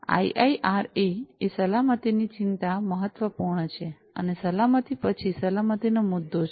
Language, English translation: Gujarati, So, IIRA safety concern is important and after safety is the issue of security